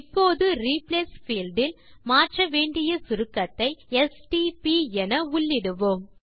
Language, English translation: Tamil, Now in the Replace field let us type the abbreviation which we want to replace as stp